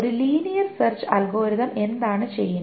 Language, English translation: Malayalam, What does a linear search algorithm does